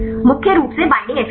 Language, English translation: Hindi, Mainly binding affinity